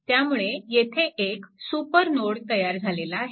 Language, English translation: Marathi, So, this is actually super node, right